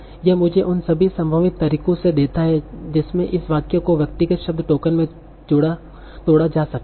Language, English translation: Hindi, Like that it gives me all the possible ways in which this sentence can be broken into individual word tokens